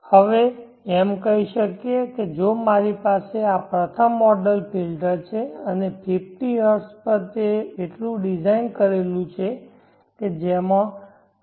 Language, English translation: Gujarati, Now we can say that if I have this first order filter and at 50Hz it is so designed that it is having a gain of 0